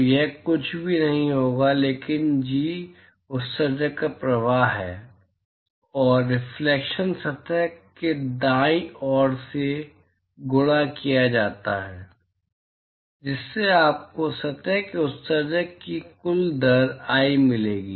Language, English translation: Hindi, So, it will be nothing but Ji is the flux of emission plus reflection multiplied by the surface right, so that will give you the total rate of emission from the surface i